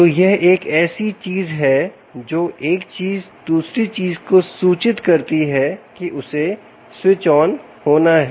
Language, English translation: Hindi, so that's something that one thing can inform the other thing that it has to switch on